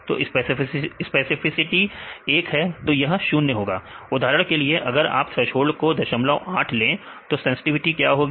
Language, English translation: Hindi, So, specificity is 1; so, this is equal to 0; for example, if you take the threshold is 0